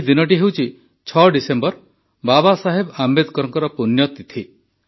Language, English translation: Odia, This day is the death anniversary of Babasaheb Ambedkar on 6th December